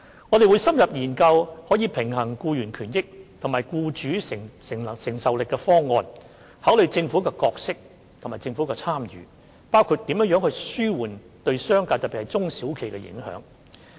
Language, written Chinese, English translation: Cantonese, 我們會深入研究可平衡僱員權益和僱主承擔能力的方案，考慮政府的角色和政府的參與，包括如何紓緩對商界的影響，特別是對中小企的影響。, We will conduct in - depth studies on proposals that can balance employees benefits and employers affordability and consider the Governments role and participation including how to alleviate the impact on the business sector particularly the impact on small and medium enterprises